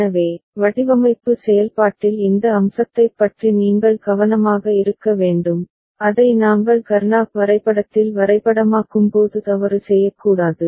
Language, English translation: Tamil, So, you need to be careful about this aspect in the design process not to make mistake when we map it to Karnaugh map, right